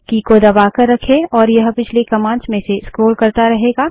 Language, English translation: Hindi, Keep pressing it and it will keep scrolling through the previous commands